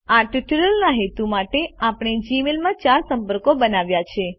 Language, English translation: Gujarati, For the purposes of this tutorial we have created four contacts in Gmail